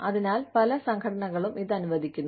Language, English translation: Malayalam, So, many organizations, allow this